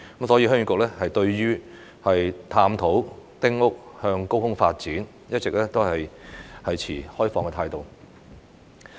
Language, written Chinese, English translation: Cantonese, 所以，鄉議局對於探討丁屋向高空發展，一直持開放態度。, Therefore HYK has always kept an open attitude towards exploring the multi - storey development of small houses